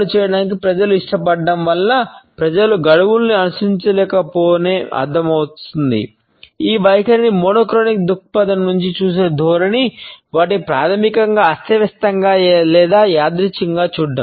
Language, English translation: Telugu, The tendency to view this attitude from a monochronic perspective is to view them as basically chaotic or random